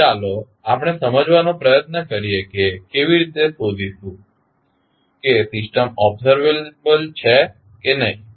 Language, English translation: Gujarati, So, let us try to understand how to find out whether the system is observable or not